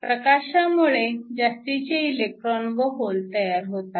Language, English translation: Marathi, So, we now shine light and the light generates excess electrons in holes